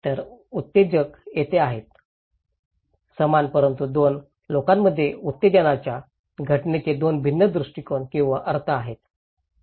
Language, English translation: Marathi, So, the stimulus is there, the same but two people have two different perspective or interpretations of the event of the stimulus